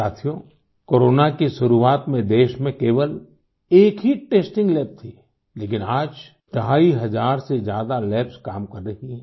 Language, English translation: Hindi, Friends, at the beginning of Corona, there was only one testing lab in the country, but today more than two and a half thousand labs are in operation